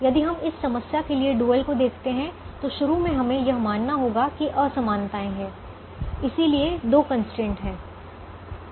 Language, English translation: Hindi, so if you write the dual to this problem initially, let's assume that you will be having inequalities